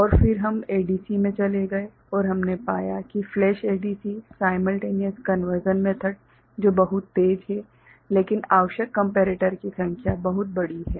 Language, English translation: Hindi, And then we moved to ADC and we found that flash ADC the simultaneous conversion method that is very fast, but the number of comparators required is very large ok